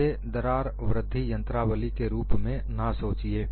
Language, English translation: Hindi, Do not think that it is like a crack growth mechanism